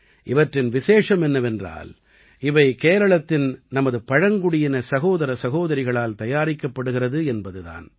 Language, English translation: Tamil, And the special fact is that these umbrellas are made by our tribal sisters of Kerala